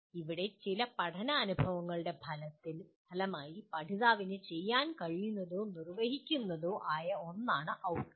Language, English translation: Malayalam, Here, an outcome is what the learner will be able to do or perform as a result of some learning experience